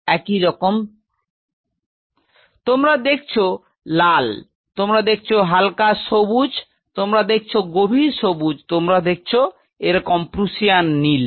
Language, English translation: Bengali, So, you see red you see light green, you see dark green, you see Prussian blue likewise